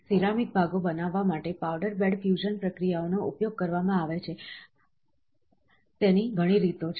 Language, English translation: Gujarati, There are a number of ways that powder bed fusion processes are utilised to create ceramic parts